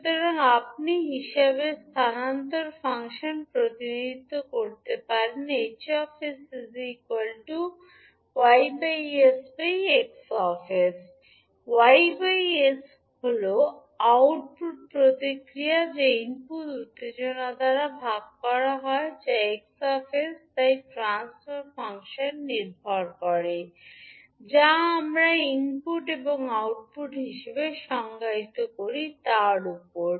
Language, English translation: Bengali, So, you can represent transfer function at H s is nothing but Y s, Y s is nothing but output response divided by the input excitation that is X s so the transfer function depends on what we defined as input and output